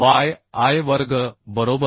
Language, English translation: Marathi, so k into yi square